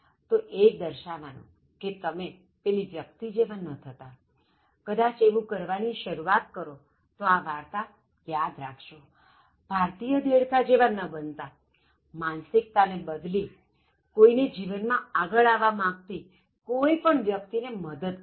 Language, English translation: Gujarati, So, just to indicate that, you should not be like that person and I hope that in case occasionally you start doing it and then keep this story in mind do not become this typical Indian frog, so change that mindset, come out of that, help somebody to grow in his or her life